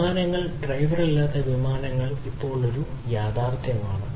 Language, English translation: Malayalam, Aircrafts, driver less aircrafts are a reality now